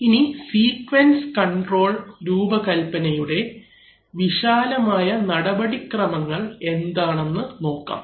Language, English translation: Malayalam, So now let us go through the steps in basic broad steps in sequence control design